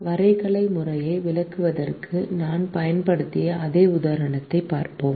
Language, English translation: Tamil, we will look at the same example that we used to illustrate the graphical method